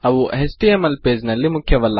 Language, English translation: Kannada, Theyre not vital in an html page